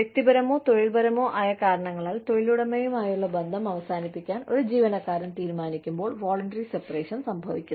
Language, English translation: Malayalam, Voluntary separation occurs, when an employee decides, for personal or professional reasons, to end the relationship, with the employer